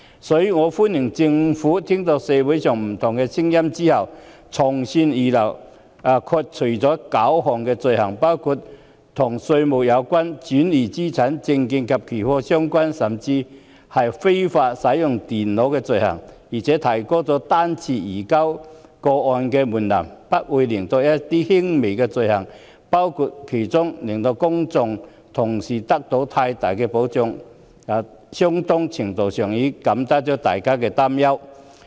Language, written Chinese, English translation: Cantonese, 所以，我歡迎政府在聆聽社會上不同的聲音後從善如流，剔除了9項罪行類別，包括與稅務相關、轉移資產、證券及期貨相關，甚至是非法使用電腦等罪行，並提高了個案方式移交的門檻，排除一些輕微罪行，令公眾得到更大保障，在相當程度上減輕了大家的擔憂。, Therefore I welcome the Governments willingness to take good advice on board after listening to various views in the community . By removing nine items of offences including offences relating to taxes transfer of funds and securities and futures trading and even offences involving the unlawful use of computers and by raising the threshold for case - based surrender by excluding some minor offences the Government has provided the public with better safeguards and allayed their concerns to a considerable extent